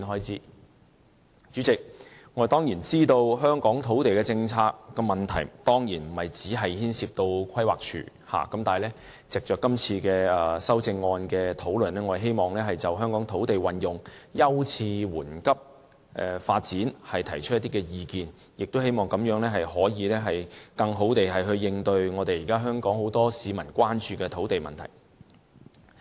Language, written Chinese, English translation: Cantonese, 主席，我當然知道香港的土地政策問題，不僅牽涉規劃署，但我希望藉着今次修正案的討論，就香港土地運用的優次緩急發展提出一些意見，也希望這樣能夠更好地應對現時很多香港市民關注的土地問題。, Chairman I certainly know that the land policy problem in Hong Kong does not only involve PlanD . But through this discussion of the amendments I want to air some of my opinions on the priorities of land use and development with a view to better addressing the concern of many Hong Kong people on land issues